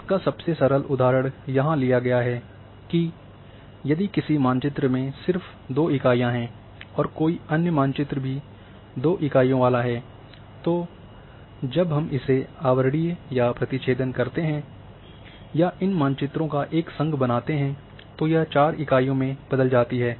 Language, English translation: Hindi, Now here very simplest example has been taken here that if a map is having just two units another map is having two units then when we overlay or intersect this or making a union of these maps then four units turn up